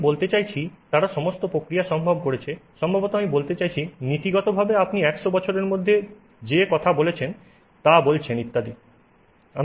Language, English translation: Bengali, I mean, they have done all the reactions possible, maybe, I mean, in principle you are even talking of you know you have given it hundreds of years, etc etc